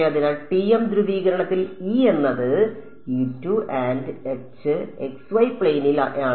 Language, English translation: Malayalam, So, in TM polarization E is force to be E z and H is in xy plane